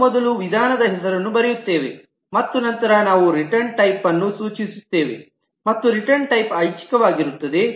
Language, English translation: Kannada, We first write the method name and then we specify the return type and the return type itself is optional